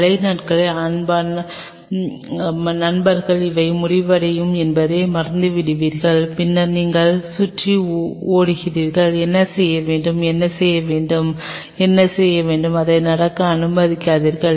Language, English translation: Tamil, For the rainy days because dear friends will forget that these are about to end and then you are hovering running around, what to do, what to do, what to do, not allow that to happen